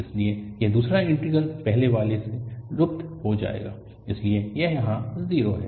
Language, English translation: Hindi, So, this second integral will disappear in the first one, so this is 0 here